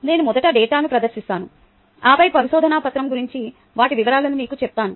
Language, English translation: Telugu, let me present the data first and then tell you about the paper